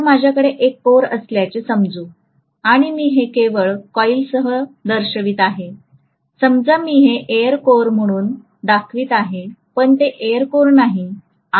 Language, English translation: Marathi, Now let us say I have a core and I am just showing that with a coil, I am showing it as an air core, it is not an air core